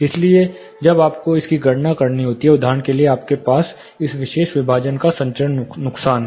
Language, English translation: Hindi, So, when you have to calculate this for example, you have the transmission loss of this particular partition here